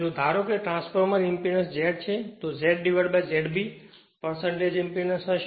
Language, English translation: Gujarati, If you assume transformer impedance is Z, then Z by Z B will be your percentage impedance